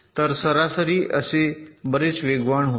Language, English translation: Marathi, so on the average this runs much faster